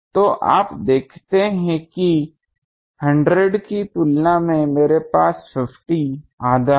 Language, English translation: Hindi, So, you see that compared to 100, I have 50 half